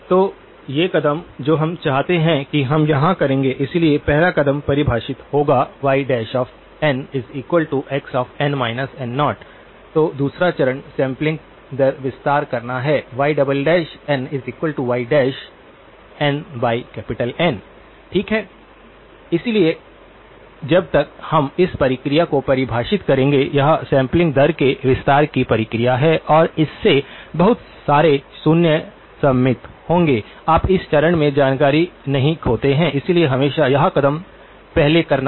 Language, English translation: Hindi, So, these steps that we would like we would do here, so first step would be define y prime of n x of n minus N naught, then the second step is to do the sampling rate expansion, y2 dash of n is y dash of n by M, okay so as we will define this process, this is the process of expanding the sampling rate and this will also end up inserting a lot of zeros, you do not lose information in this step, so always better to do this step first